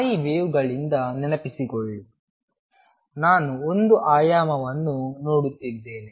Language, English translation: Kannada, Recall from the stationary waves and I am focusing on one dimension